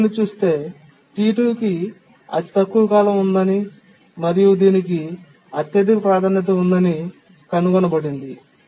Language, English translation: Telugu, So we look through the period and find that T2 has the lowest period and that has the highest priority